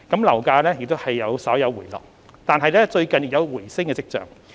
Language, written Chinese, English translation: Cantonese, 樓價雖稍有回落，但最近亦有回升跡象。, Property prices though retreated slightly have shown signs of rebound recently